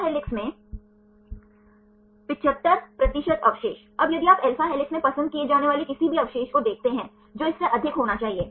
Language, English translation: Hindi, 75 percentage of the residues in alpha helix, now if you see any residue to be preferred in alpha helix that should be more than